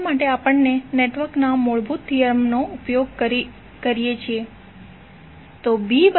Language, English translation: Gujarati, For that we use the fundamental theorem of network